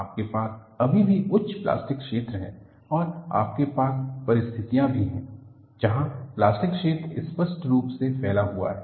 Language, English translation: Hindi, You have still higher plastic zone and you also have situations, where the plastic zone is visibly spread